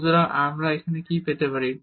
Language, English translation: Bengali, So, what do we get here